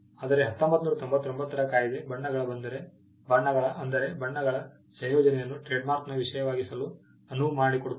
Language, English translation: Kannada, But the 1999 act allows for colour combination of colours to be a subject matter of trademark